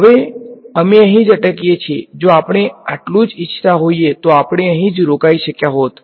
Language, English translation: Gujarati, Now, we could have stopped right here; if this is all we wanted to do we could have stopped right here